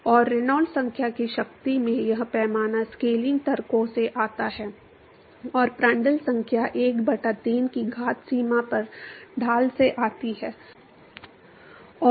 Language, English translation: Hindi, And this scale in power of Reynolds number comes from the scaling arguments, and the Prandtl number to the power of 1 by 3 comes from the gradient at the boundary and